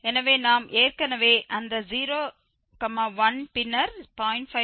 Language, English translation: Tamil, So, we have already seen that 0, 1, then 0